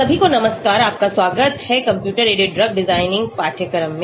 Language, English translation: Hindi, Hello everyone, welcome to the course on computer aided drug design